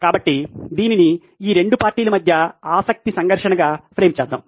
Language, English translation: Telugu, So let’s frame it as a conflict of interest between these 2 parties